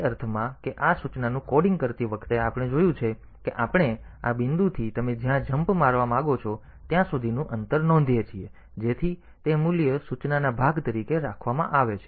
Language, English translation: Gujarati, In the sense that we have seen that while coding this instruction, so we note down the distance from this point to the point where you want to jump, so that value is kept as the part of the instruction